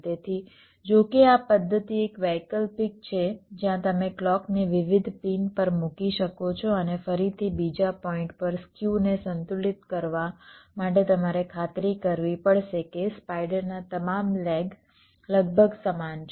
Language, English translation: Gujarati, so, although this method is is an alternative where you can layout the clock to different pins and means, and again, another point, to balance skew, you have to ensure that all the legs of the spiders are approximately equal